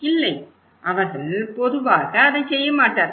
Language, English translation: Tamil, No right, they generally don’t do it